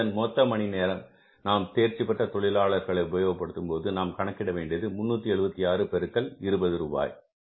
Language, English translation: Tamil, So, it means total number of hours put in by the skilled category of the workers are 376, multiplying it by rupees 20